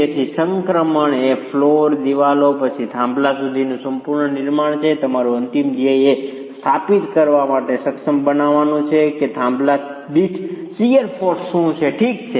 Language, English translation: Gujarati, So, the transition is total building to the floors, to the walls and then to the piers and your final goal is to be able to establish what are the shear forces per peer